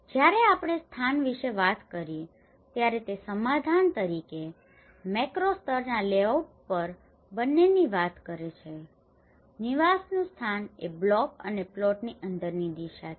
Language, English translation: Gujarati, When we talk about location it talks both at a macro level layout as a settlement also the location of a dwelling is orientation within the block and the plot